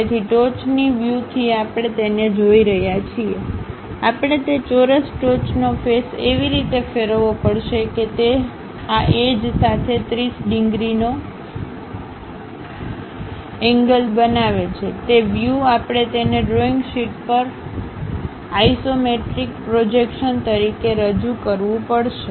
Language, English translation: Gujarati, So, from top view we are looking at it, we have to rotate that square top face in such a way that it makes 30 degree angle with these edges; that view we have to present it on the drawing sheet as an isometric projection